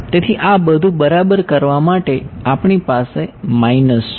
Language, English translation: Gujarati, So, we have we have minus to get this all right